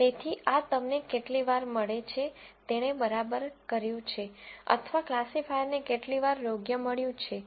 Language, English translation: Gujarati, So, this gives you how many times did I get, did it right or how many times did the classifier get it right